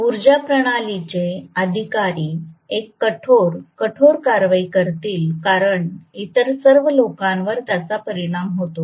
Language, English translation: Marathi, Power system authorities will take a pretty stern action because it affects all the other people